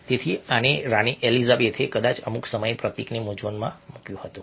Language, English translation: Gujarati, so these and queen elizabeth probably confused the symbol at some point of time